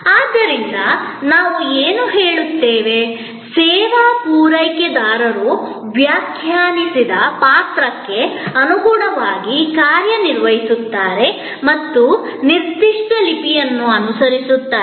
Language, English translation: Kannada, So, this is, what we say, that the service providers act according to a define role and follow a certain script